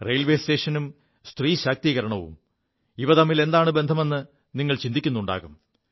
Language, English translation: Malayalam, You must be wondering what a railway station has got to do with women empowerment